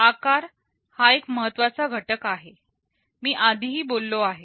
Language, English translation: Marathi, Size is an important parameter I talked earlier